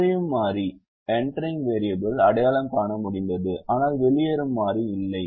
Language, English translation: Tamil, so in this iteration we showed that there is an entering variable but there is no leaving variable